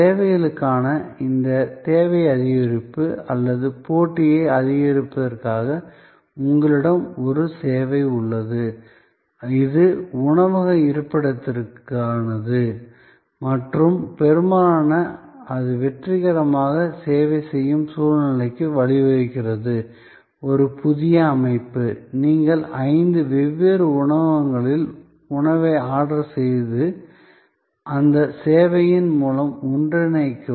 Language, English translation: Tamil, And this increase in demand for services or also increasing the competition, so you have a service, which is for restaurant location and often that leads to a situation where it that services successful, a new structure, where you can order food from five different restaurant and combine through that service